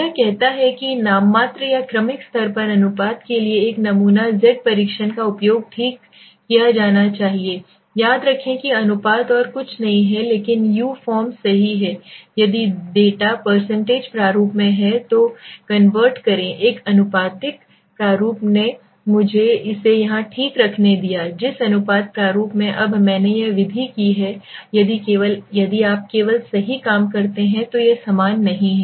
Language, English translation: Hindi, It says nominal or ordinal level the one sample Z test for proportion should be used okay, remember proportion is nothing but beside is u form right, if the data are in % format, convert to a proportion format let me keep it here okay, the proportion format now did I saying this method is the same is nothing absolutely no difference if you do right only thing is that